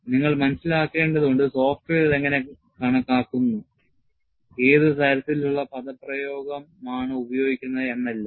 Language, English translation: Malayalam, You will have to understand, how the software calculates, what is the kind of expression that is used; it is very very important